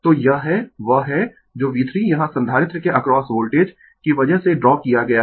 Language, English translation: Hindi, So, this is your that is what V 3 is drawn here because Voltage across capacitor